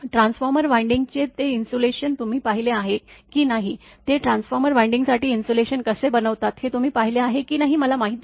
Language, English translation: Marathi, You I do not know whether you have seen that insulation of transformer winding or not, how they how they make the insulation for the transformer winding